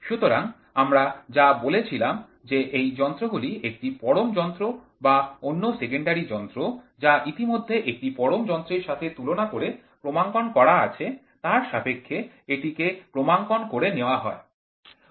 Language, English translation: Bengali, So, that is what we said these instruments are calibrated by comparison with an absolute instrument or another secondary instrument which has already been calibrated against an absolute instrument